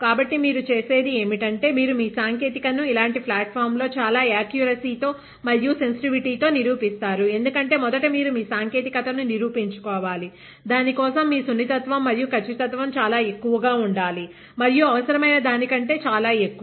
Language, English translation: Telugu, So, what you do is, you prove your technology with the most accuracy and sensitivity on a platform like this; because first of all you need to prove your technology, for that your sensitivity and accuracy has to be extremely high, and many times even more than what is required